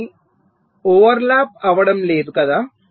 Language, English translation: Telugu, they are non overlapping, right